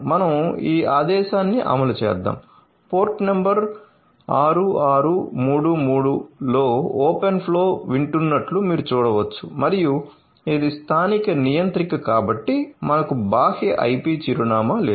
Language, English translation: Telugu, So, let me run this command so, you can see the open flow is listening on port number 6633 and it is the local controller so that is why we do not have any external IP address